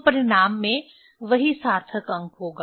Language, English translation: Hindi, So, result will have the same significant figure